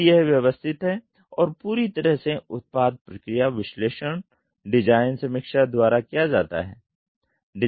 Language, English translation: Hindi, So, it is systematic and thorough product process analysis is done by the design review